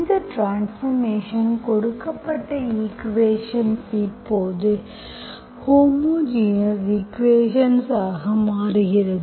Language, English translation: Tamil, With this transformation, the given equation becomes homogeneous equation now